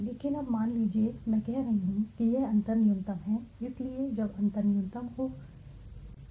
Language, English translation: Hindi, But now suppose I am saying that this difference is minimal is minimal right minimum so when the difference is minimum I am saying let us stop, why